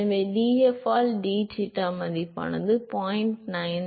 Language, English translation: Tamil, So, whatever is the value by d f by d eta at which it is equal to 0